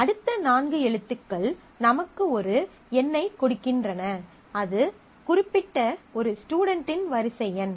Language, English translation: Tamil, The next four characters gives me a number, the serial number of the particular student in the role